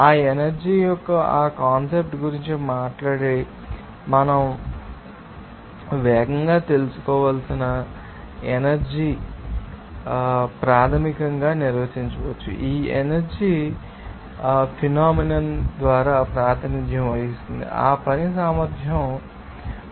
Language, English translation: Telugu, talk about that concept of that energy what is that energy that we have to know fast, how it can be defined basically, this energy is represented by the phenomenon of you know that ability of work